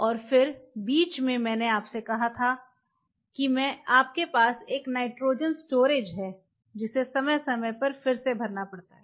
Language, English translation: Hindi, And in between I told you that you have a nitrogen storage which has to be replenished time to time